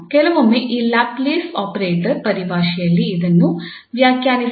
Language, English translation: Kannada, Sometimes this is defined in terms of this Laplace operator, Laplace u equal to 0